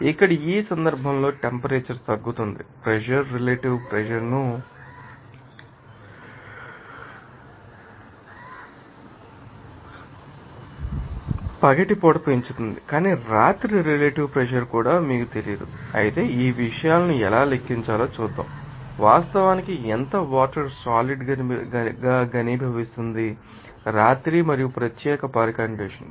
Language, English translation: Telugu, Here in this case simply that you temperature is lowering Pressure is increasing relative humidity that at the day you know, but for the relative humidity at night that also you do not know, but this let us see how to calculate these things that how much water is actually condensing as a do at night and that particular condition